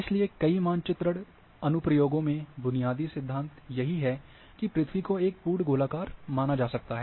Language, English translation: Hindi, So, basic principles are; therefore, many mapping applications the earth can be assumed to be a perfect sphere